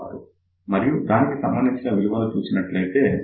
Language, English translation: Telugu, 66, if you read the corresponding value that comes out to be 0